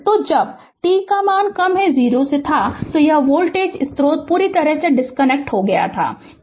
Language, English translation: Hindi, So, when it was t less than 0 this voltage source is completely disconnected, right